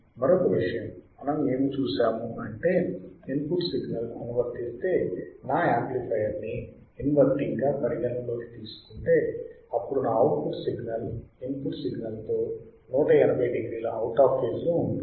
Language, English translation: Telugu, One thing we have seen what that if I apply input signal, and if I consider my amplifier to be inverting, then my output signal would be 180 degree out of phase with respect to input right, this is what is written for sentence ok